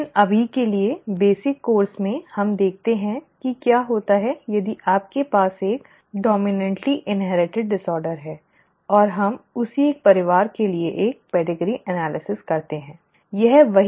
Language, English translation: Hindi, But for now, basic course let us look at what happens if you have a dominantly inherited disorder and let us do a pedigree analysis for the very same family, okay